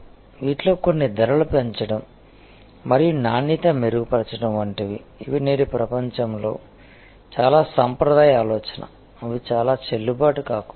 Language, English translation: Telugu, Some of these like increase price and improve quality, these are very traditional thinking in today's world, they may not be very valid